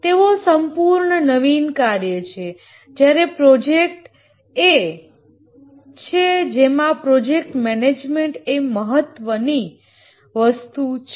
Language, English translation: Gujarati, These are purely innovative work whereas projects are the one where you need project management, that's important thing here